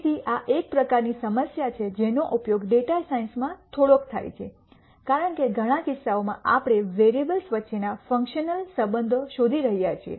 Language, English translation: Gujarati, So, this is one type of problem which is used quite a bit in data science because in many cases we are looking at functional relationships between variables